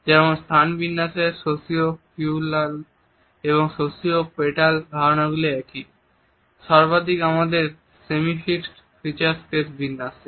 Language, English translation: Bengali, For example, the sociofugal and sociopetal understanding of space arrangement is same maximum in our arrangement of the semi fixed feature space